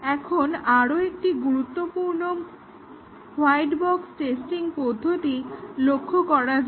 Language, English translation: Bengali, Today we will look at few more white box testing techniques